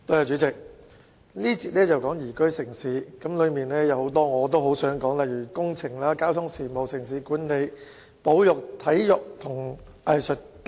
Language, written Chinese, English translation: Cantonese, 主席，這個環節是談"宜居城市"，當中有很多政策範疇我也想說說，例如工程、交通事務、城市管理、保育、體育和藝術等。, President this sessions topic is liveable city in which I would like to speak on issues concerning numerous policy areas such as engineering transport urban management conservation sports and arts